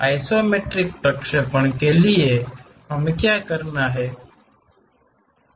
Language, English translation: Hindi, And for isometric projections, what we have to do